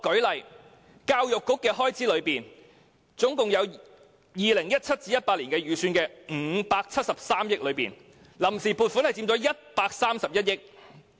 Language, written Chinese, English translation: Cantonese, 以教育開支為例 ，2017-2018 年度總預算573億元中，臨時撥款佔131億元。, Of the total estimated expenditure of 57.3 billion for the year 2017 - 2018 the funds on account took up 13.1 billion